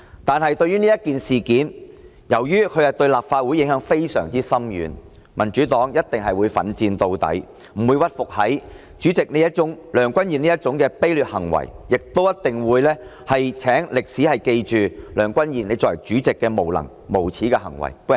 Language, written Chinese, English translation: Cantonese, 但是，由於此事對立法會影響非常深遠，民主黨一定會奮戰到底，不會屈服於梁君彥主席這種卑劣行為，亦一定會請歷史記着梁君彥你作為主席的無能、無耻的行為。, However since the incident will have a profound impact on the Council the Democratic Party will fight until the end and it will not succumb to the despicable acts of President Mr Andrew LEUNG . Mr Andrew LEUNG your incompetent and shameless behaviour as President will surely be recorded in history